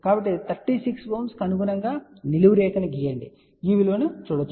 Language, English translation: Telugu, So, corresponding to 36 ohm we draw a vertical line see this value